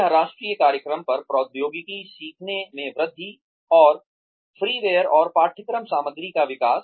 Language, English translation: Hindi, This, the national program on, technology enhanced learning, and freeware, and development of course material